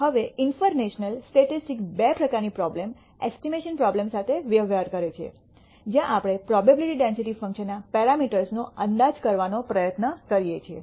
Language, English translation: Gujarati, Now inferential statistics deals with two kinds of problem estimation problem, where we try to estimate parameters of the probability density function